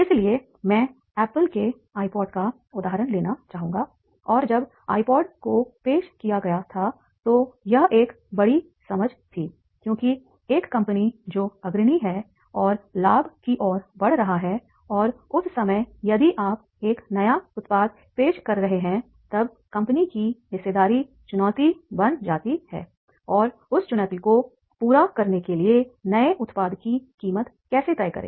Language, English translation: Hindi, So I would like to take the example of like Apple's iPod and then iPod was introduced then it was the really big understanding because a company which is leading and wants to go towards the profit and that time if you are introducing a new product then the stake stake of the company, it becomes the challenge